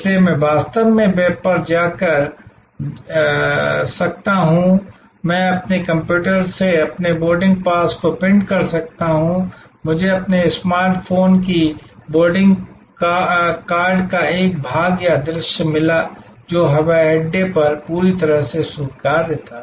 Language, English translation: Hindi, So, I actually could check in on the web, I could print my boarding pass from my computer, I got the conformation or a view of the boarding card on my smart phone, which was acceptable, perfectly acceptable at the airport